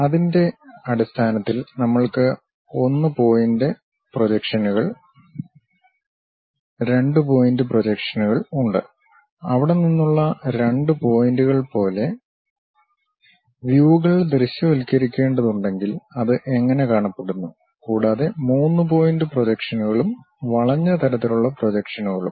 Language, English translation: Malayalam, Based on that we have 1 point projections, 2 point projections; like 2 points from there, if we have visualizing the views, how it looks like, and 3 point projections and curvilinear kind of projections we have